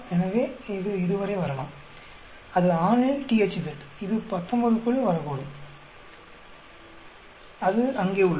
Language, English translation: Tamil, So, this may come to around, that is male THZ, that may come around 19, that is here